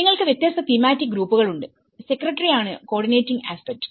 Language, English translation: Malayalam, And you have different thematic groups and the secretary is the coordinating aspect